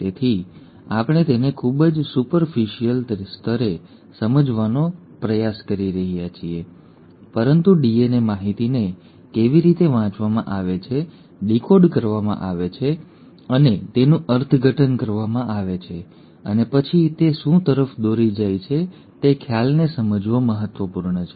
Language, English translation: Gujarati, So we are trying to understand it at a very superficial level but it is important to understand the concept as to how the DNA information is read, decoded and interpreted and then what does it lead to